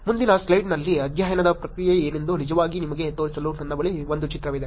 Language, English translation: Kannada, Next slide I also have a image to actually show you what was the process of the study